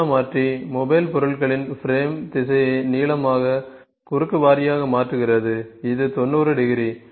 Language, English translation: Tamil, Angular converter changes the conveying direction of the mobile objects from lengthwise to crosswise it is at 90 degree ok